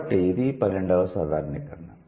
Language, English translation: Telugu, So, that's the 12th generalization